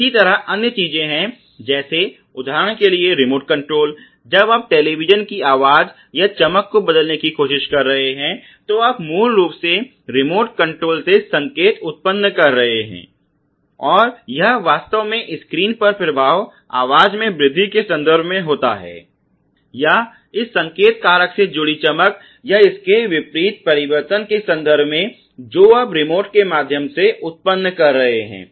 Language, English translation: Hindi, Similarly there are other things like for example, remote control, when you are trying to change the volume or the brightness of a television, you basically generating the signal from the remote control and it is actually resulting in the influence on the screen ok in terms of the volume increase or in terms of the brightness or contrast change associated with this signal factor that you are generating through the remote